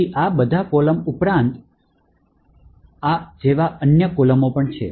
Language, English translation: Gujarati, So, in addition to all of these columns, there are other columns like this